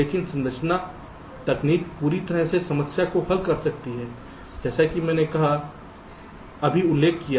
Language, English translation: Hindi, but structure techniques can totally solve the problem, as i have just now mentioned there